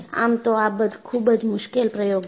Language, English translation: Gujarati, In fact, it is a very difficult experiment